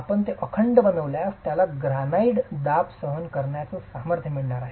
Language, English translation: Marathi, If you make it monolithic, you are going to get the granite compressive strength